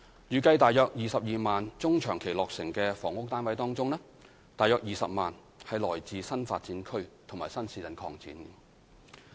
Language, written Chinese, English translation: Cantonese, 預計在約22萬中長期落成的房屋單位當中，約20萬是來自新發展區及新市鎮擴展。, Of around 220 000 housing units estimated to be completed in the medium and long term approximately 200 000 will come from NDAs and new town extensions